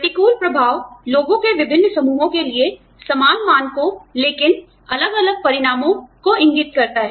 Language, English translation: Hindi, Adverse impact indicates, same standards, but different consequences, for different groups of people